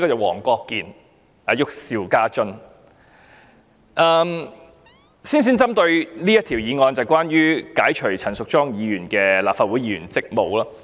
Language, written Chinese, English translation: Cantonese, 我先針對這項議案發言，即關於解除陳淑莊議員的立法會議員職務。, I will focus on this motion first . It seeks to relieve Ms Tanya CHAN of her Legislative Council duties